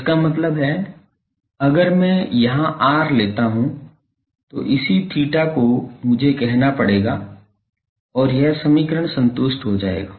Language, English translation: Hindi, So, this is the this r; that means, if I take the r here then the corresponding theta I will have to say and this equation will be satisfied